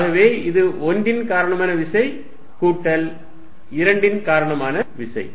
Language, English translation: Tamil, So, this is going to be force due to 1 plus force due to 2